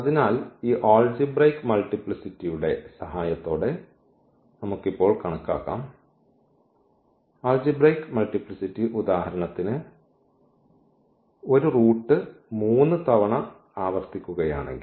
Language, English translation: Malayalam, So, that we can now quantify with the help of this algebraic multiplicity; so, algebraic multiplicity if for instance one root is repeated 3 times